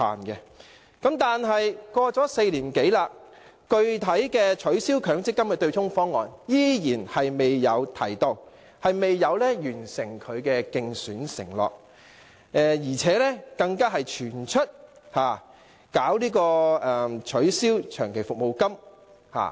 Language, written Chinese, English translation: Cantonese, 可是 ，4 年多過去了，他依然未有提出取消強積金對沖機制的具體方案，未有履行其競選承諾，而且更傳出打算取消長期服務金。, But more than four years have passed and he has yet put forward a concrete proposal for abolishing the MPF offsetting mechanism . He has failed to honour his election pledge and worse still rumour has it that there is this intention of abolishing the long service payments